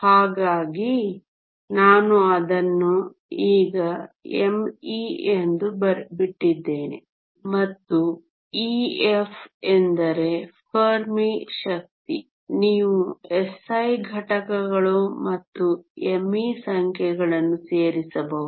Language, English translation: Kannada, So, I have just left it as m e and e f is the Fermi energy you can plug in the numbers in SI units and m e